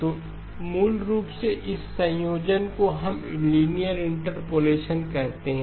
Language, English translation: Hindi, So basically this combination is what we called as linear interpolation